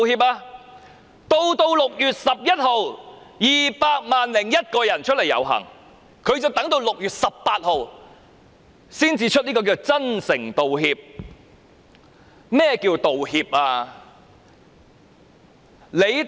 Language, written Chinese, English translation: Cantonese, 在6月16日有 2,000 001人遊行，她仍要等到6月18日才作出所謂真誠道歉，甚麼是道歉？, On 16 June 2 000 001 persons took to the streets and it was not until 18 June that she offered the so - called sincere apology . What is an apology?